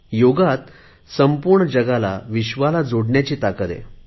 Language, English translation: Marathi, Yoga has the power to connect the entire world